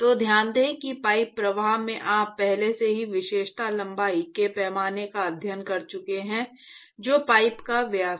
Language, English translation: Hindi, So, note that in pipe flow which you have already studied the characteristic length scale is the diameter of the pipe